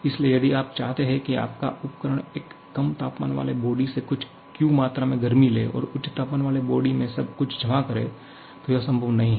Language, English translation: Hindi, So, if you want your device just to take some Q amount of heat from this low temperature body and deposit everything to the high temperature body, not possible